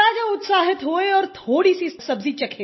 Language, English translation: Hindi, The king was excited and he tasted a little of the dish